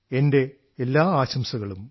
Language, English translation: Malayalam, I wish you all the best